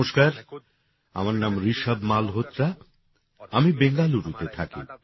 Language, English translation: Bengali, Hello, my name is Rishabh Malhotra and I am from Bengaluru